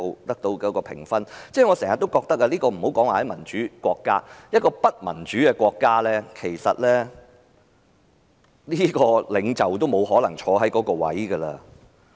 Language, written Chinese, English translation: Cantonese, 我經常覺得，暫不說民主國家，即使在不民主的國家，得到這麼低評分的領袖也沒可能繼續在任。, I often feel that let alone democratic countries even in undemocratic countries leaders with such a low approval rating will not be able to remain in office